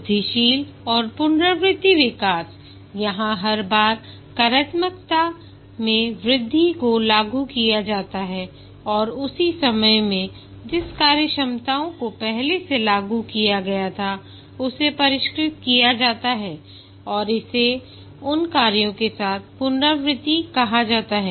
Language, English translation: Hindi, Incremental and iterative development here, each time new increments of functionalities are implemented and at the same time the functionalities that were already implemented, they are refined and that is called as iteration with those functionalities